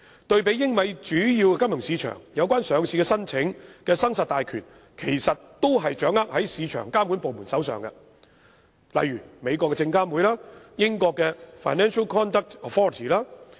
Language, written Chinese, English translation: Cantonese, 對比英美主要金融市場，有關上市申請的生殺大權都是掌握在市場監管部門手上，例如美國的證券交易委員會、英國的金融市場行為監管局。, In major financial markets such as those in Britain and the United States the ultimate power to approve or reject a listing application rests with their market regulators such as the US Securities and Exchange Commission and the Financial Conduct Authority in Britain